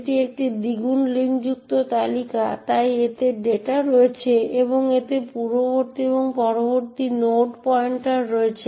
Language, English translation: Bengali, h, this is a doubly linked list, so it has the data and it has the previous and the next node pointers